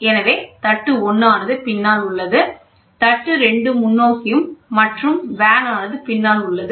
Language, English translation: Tamil, So, the plate 1 is behind this is behind plate 1 is behind, and here plate 2 is forward and vane is behind, ok